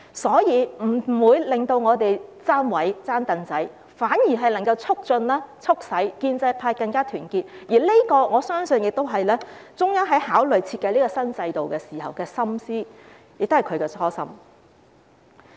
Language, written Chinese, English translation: Cantonese, 所以，這不會令建制派"爭位"，爭"櫈仔"，反而能夠促使建制派更加團結，我相信這是中央考慮和設計新制度時的心思，也是他們的初心。, Therefore this will not make the pro - establishment camp scramble for or grab seats but will instead make the pro - establishment camp more united . I believe this is what the Central Government had in mind when considering and designing the new system and this is also their original intention